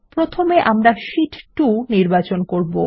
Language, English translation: Bengali, First, let us select sheet 2